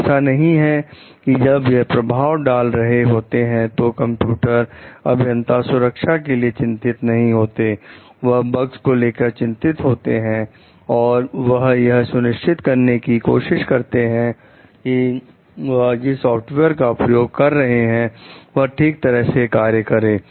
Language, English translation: Hindi, So, when it is affecting it is not that the computer engineers are not concerned with safety; they are concerned with bugs means they are trying to ensure like the system which is using the software is functioning in a proper way